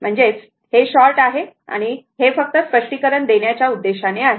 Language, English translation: Marathi, So, it is short I mean just for the purpose of explanation